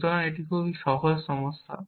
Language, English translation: Bengali, So, it is a very simple problem